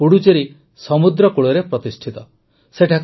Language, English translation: Odia, Puducherry is situated along the sea coast